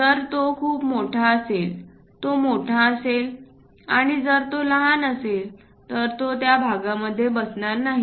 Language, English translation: Marathi, If it is too large if this one is large and if this one is small it cannot really fit into that